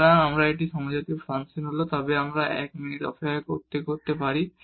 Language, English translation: Bengali, So, if it is a homogeneous function in that case we can write down wait a minute